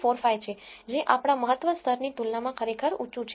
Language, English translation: Gujarati, 9945 which is really high compared to our significance level